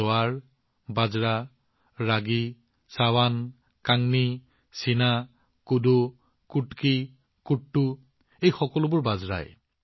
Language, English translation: Assamese, Jowar, Bajra, Ragi, Sawan, Kangni, Cheena, Kodo, Kutki, Kuttu, all these are just Millets